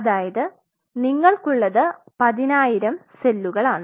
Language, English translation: Malayalam, So, what you are having is 10000 cells